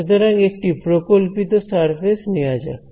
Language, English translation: Bengali, So, let us take a hypothetical surface